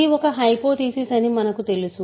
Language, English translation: Telugu, So, we know that this is a hypothesis right